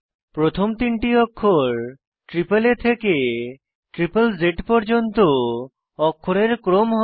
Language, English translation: Bengali, The first three letters are sequence of alphabets from AAA to ZZZ